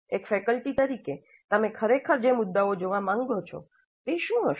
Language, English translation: Gujarati, As a faculty, what would be the issues that you want to really look at the challenges